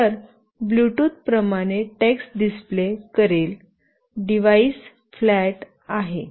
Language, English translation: Marathi, So, Bluetooth will display a text like the device is flat, etc